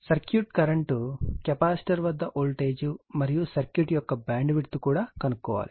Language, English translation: Telugu, Also find the circuit current, the voltage across the capacitor and the bandwidth of the circuit right